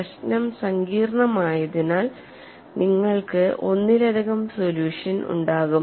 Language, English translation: Malayalam, As the problem is complex you will have multiple solutions